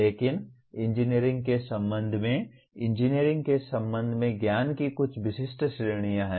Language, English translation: Hindi, But there are some specific categories of knowledge with respect to engineering, specific to engineering